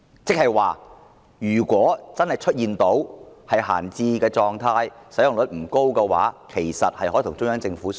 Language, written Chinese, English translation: Cantonese, 換言之，如果軍事用地真的處於閒置狀態，使用率不高，香港政府其實可與中央政府商討。, In other words if the military sites are indeed left idle and underutilized the Hong Kong Government can in fact negotiate with CPG